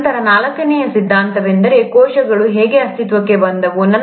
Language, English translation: Kannada, Then the fourth theory is, ‘how did cells come into existence’